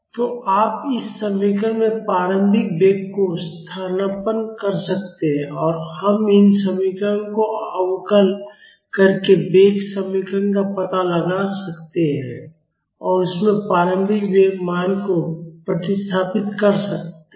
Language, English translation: Hindi, So, you can substitute the initial velocity in this expression and we can find out the velocity expression by differentiating these ones and substitute the initial velocity value in that